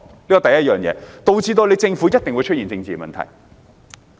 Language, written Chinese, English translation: Cantonese, 這是第一，導致政府一定出現政治問題。, This is the first one which certainly spells political problems for the Government